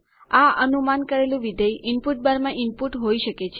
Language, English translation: Gujarati, The predicted function can be input in the input bar